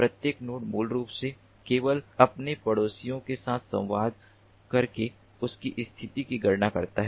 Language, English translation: Hindi, ok, every node basically computes their position by communicating only with their neighbors